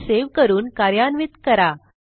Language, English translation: Marathi, save the file and run it